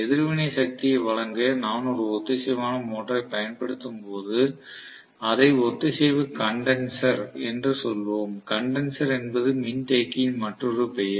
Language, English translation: Tamil, When I use a synchronous motor for providing for the reactive power, we may call that as synchronous condenser